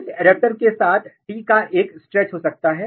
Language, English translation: Hindi, This adapter can have a stretch of T